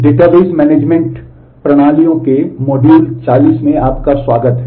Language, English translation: Hindi, Welcome to module 40 of Database Management Systems